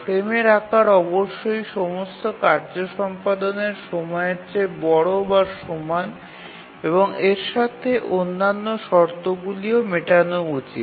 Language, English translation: Bengali, So the frame size must be larger than the execution time of all tasks, greater than equal to all tasks, and also it has to satisfy the other conditions